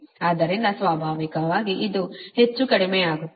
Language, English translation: Kannada, so naturally this much will be reduce